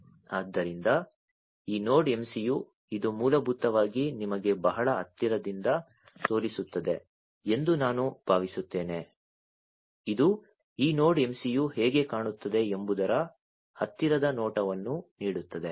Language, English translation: Kannada, So, this Node MCU, I think this basically shows you from a very closer you know this gives you a closer view of how this Node MCU looks like